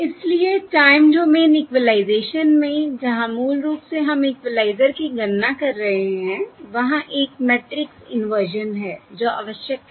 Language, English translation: Hindi, So, in time domain equalisation, where basically we are computing the equaliser, there is a matrix inversion that is required